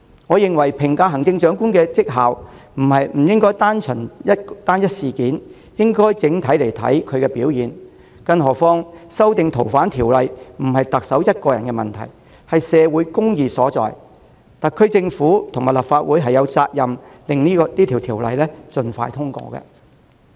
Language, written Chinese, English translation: Cantonese, 我認為在評價行政長官的績效時，不應只看單一事件，而應看其整體表現，更何況修訂《逃犯條例》不是特首的個人問題，而是社會公義所在，特區政府及立法會均有責任讓相關修訂建議盡快通過。, In evaluating the achievements and effectiveness of the Chief Executive I think we should look not at one single issue but her overall performance . Besides the amendment to FOO is a matter of social justice not a personal problem of the Chief Executive . The SAR Government and the Legislative Council are both duty - bound to expedite the passage of the amendment proposal